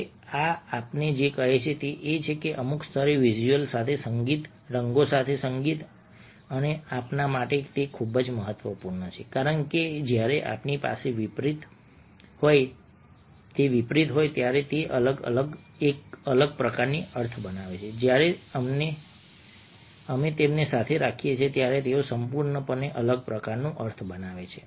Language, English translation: Gujarati, now, what this tells us is that we are able to relate, at some level, music with visuals, music with colours, and this is very, very important for us because when we have them in contrast, they create a different kind of a meaning